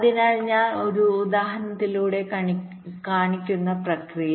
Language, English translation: Malayalam, so the process i will be showing with an example